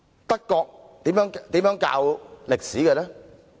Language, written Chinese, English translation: Cantonese, 德國如何教授歷史呢？, How is history taught in Germany?